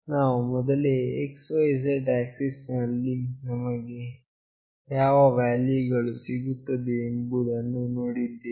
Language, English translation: Kannada, We have already seen that what value will receive on x, y, z axis